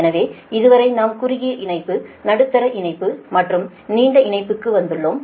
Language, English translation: Tamil, so up to this we have come for short line, medium line and long line, right